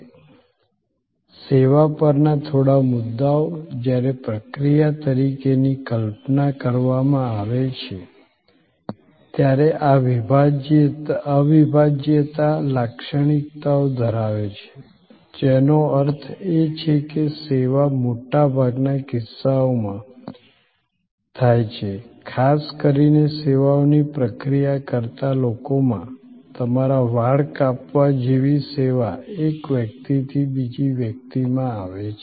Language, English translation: Gujarati, Few points on processes service, when conceived as a process has this inseparability characteristics, which means that as the service is occurring in most cases, particularly in people processing services, service coming from a person to another person like your haircut